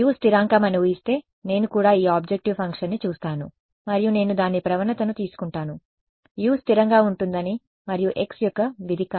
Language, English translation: Telugu, Assuming U constant means that even I look at this objective function and I take its gradient I assume U to be constant and not a function of x